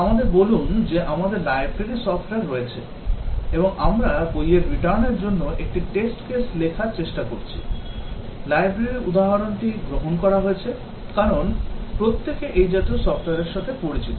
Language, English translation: Bengali, Let us say we have library software; and we are trying to write one test case for return book case; taken the library example, because everybody is familiar with such a software